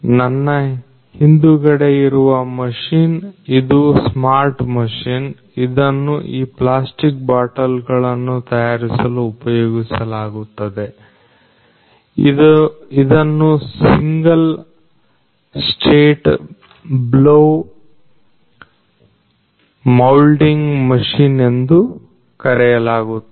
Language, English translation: Kannada, So, behind me is a machine a smart machine which is used for making these plastic bottles, it is known as the single state blow moulding machine